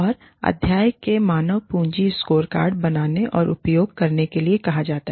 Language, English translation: Hindi, And, the chapter is called, Creating and Using the Human Capital Scorecard